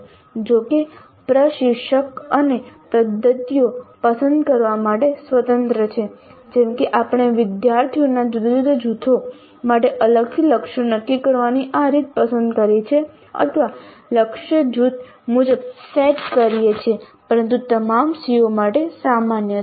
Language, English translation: Gujarati, However, instructor is free to choose the other mechanisms, other methods which we discuss like this way of setting the targets for different groups of students separately or setting the targets group wise but common to all COs